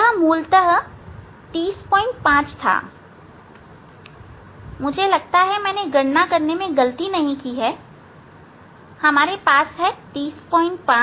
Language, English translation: Hindi, 5 basically, I think I have not done mistake in calculation, we have 30